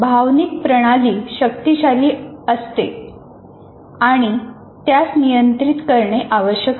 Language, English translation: Marathi, Because emotional system can be very strong, so it has to regulate that